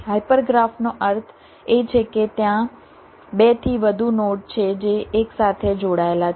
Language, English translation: Gujarati, hyper graph means there are more than two nodes which are connected together